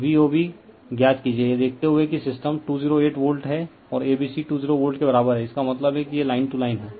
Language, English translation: Hindi, So, find V O B given that the system is 208 volt and A B C is equal 208 volt means it is line to line right